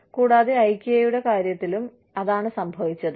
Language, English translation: Malayalam, And, that is exactly what, happened with Ikea